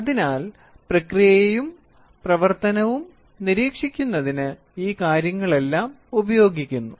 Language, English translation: Malayalam, So, all these things are used for monitoring the process and operation